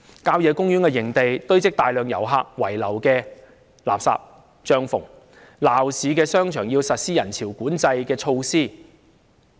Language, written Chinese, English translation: Cantonese, 郊野公園營地堆積大量遊客遺留的垃圾、帳篷，鬧市的商場要實施人潮管制措施。, While country park campsites have been heaped with a mass of rubbish and tents left by tourists shopping malls in downtown areas have to implement crowd control measures